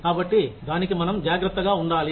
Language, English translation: Telugu, So, that is what, we need to be careful about